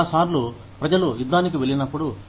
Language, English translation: Telugu, A lot of times, when people go to war